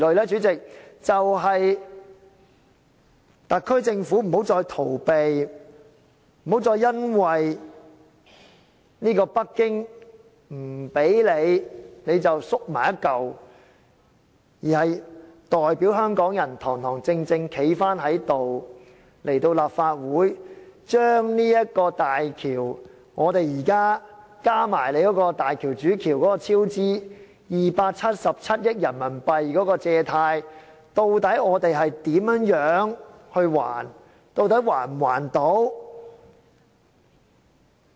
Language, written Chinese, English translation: Cantonese, 主席，便是特區政府不要再逃避，不要再因為北京不給你便縮作一團，而是要代表香港人，堂堂正正地站起來，向立法會交代港珠澳大橋——加上大橋主橋277億元人民幣超支款項——的貸款，究竟我們會如何還款？, President the answer is that the HKSAR Government should not evade its responsibility and should not flinch due to Beijings disapproval . Instead it should represent Hong Kong people and stand upright to explain to the Council how the loans of HZMB―plus the overrun cost of RMB27.7 billion for the HZMB Main Bridge―are to be repaid?